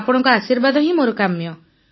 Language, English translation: Odia, I need your blessings